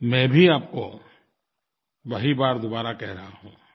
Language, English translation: Hindi, I am reiterating the same, once again